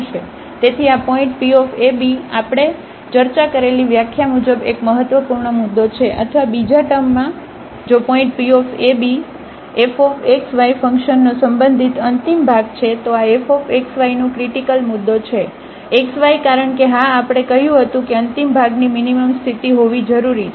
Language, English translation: Gujarati, So, this point P is a critical point as per the definition we have discussed or in other words if a point P x y is a relative extremum of the function f x y then this is a critical point of f x y because yes as we said that this is the necessary condition to have the extremum minimum